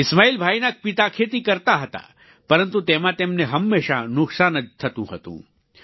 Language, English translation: Gujarati, Ismail Bhai's father was into farming, but in that, he often incurred losses